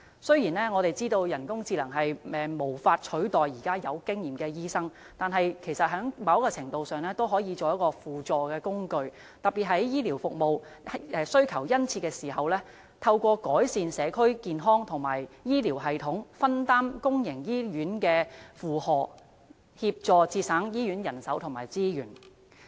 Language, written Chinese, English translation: Cantonese, 雖然，我們知道人工智能無法取代有經驗的醫生，但在某程度上也可以作為輔助工具，特別是在醫療服務需求殷切的時候，透過改善社區健康和醫療系統，可做到分擔公營醫院負荷，協助節省醫院人手和資源。, Although we know that artificial intelligence can never replace experienced doctors it can be used as a supporting tool . In particular in times of keen demand for health care services improving community health and health care systems can share the burden of public hospitals and help them save manpower and resources